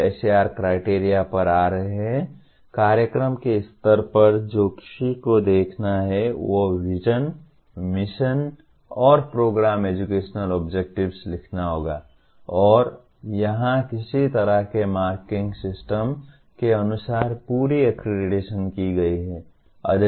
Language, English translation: Hindi, Now coming to SAR criteria, at the program level what one has to look at is Vision, Mission and Program Educational Objectives have to be written and here the whole accreditation is done as per some kind of a marking system